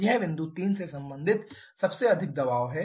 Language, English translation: Hindi, This is the highest pressure corresponding to point 3